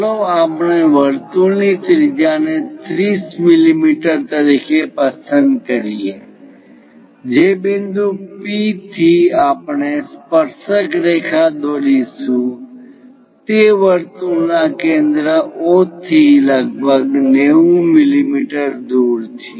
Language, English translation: Gujarati, Let us pick radius of the circle as 30 mm, the point P for through which we will construct tangent is something about 90 mm away from circle centre O